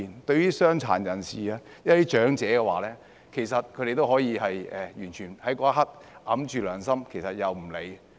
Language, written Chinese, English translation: Cantonese, 對於傷殘人士、長者，其實他們那一刻也可以完全掩蓋雙眼及良心，置諸不理。, Regarding people with disabilities and the elderly they can in fact cover their eyes and go against their conscience to ignore them at that moment